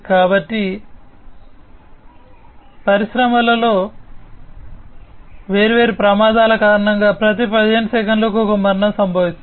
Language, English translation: Telugu, So, here is some statistic one death occurs every 15 seconds due to different accidents in the industry